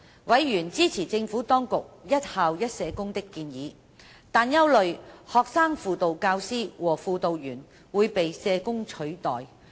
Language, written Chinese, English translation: Cantonese, 委員支持政府當局一校一社工的建議，但憂慮學生輔導教師和輔導員會被社工取代。, Members were in support of the Administrations proposal on one social worker for each school but worried that Student Guidance Teachers SGT and student guidance personnel SGP would be replaced by social workers